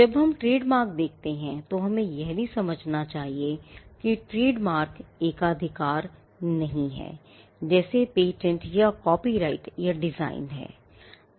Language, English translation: Hindi, When we look at trademarks, we also need to understand that trademarks are not a monopoly, in the sense that patents or copyright or designs are